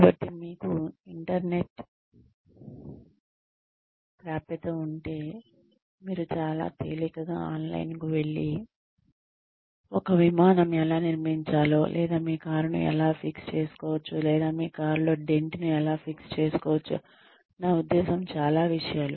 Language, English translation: Telugu, So, if you have access to the internet, you can very easily go online, and find out, how to say, build an Airplane, or fix your car, or fix a dent in your car, I mean different things